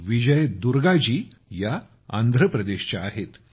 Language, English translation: Marathi, Vijay Durga ji is from Andhra Pradesh